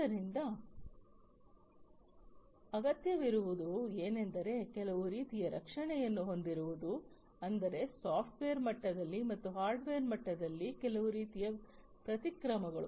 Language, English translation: Kannada, So, what is required is to have some kind of protection that means some kind of countermeasures at the software level, as well as at the hardware level